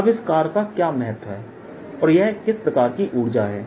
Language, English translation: Hindi, now, first, what is the significance of this work and what kind of energy is this